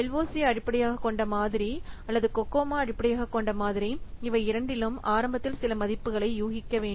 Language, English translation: Tamil, In either the LOC based model or the COCOMO we initially guess some value, we initially guess some value then apply the algorithm and estimate